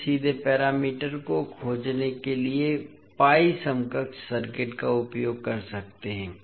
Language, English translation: Hindi, We can use the pi equivalent circuit to find the parameters directly